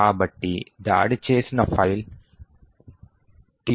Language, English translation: Telugu, So, the file that was attacked was TUT2